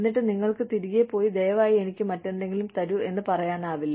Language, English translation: Malayalam, And then, you cannot go back, and say, no, please give me something else